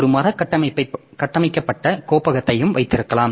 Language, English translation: Tamil, You can have a tree structure directory also